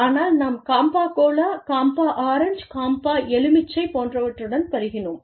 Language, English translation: Tamil, But, we were used to, Campa Cola, Campa Orange, Campa Lemon, etcetera